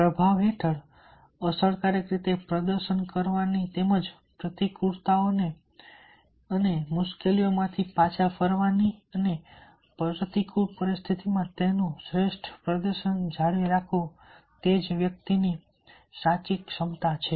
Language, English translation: Gujarati, so therefore t is the ability on the part of the individual to perform effectively under performance as well as bounce back from adversities and difficulties and maintain his optimum performance n a adverse situations